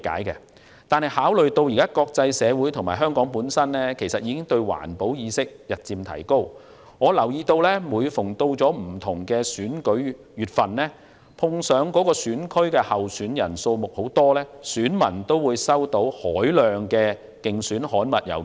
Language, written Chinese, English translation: Cantonese, 現時國際社會及香港的環保意識日漸提高，但我留意到每逢選舉臨近，如果某個選區的候選人數目眾多，該區選民都會收到大量選舉郵件。, At present the international community and Hong Kong has a rising level of environmental awareness . I notice that whenever there is an election electors of a constituency having many candidates will receive a large quantity of election mail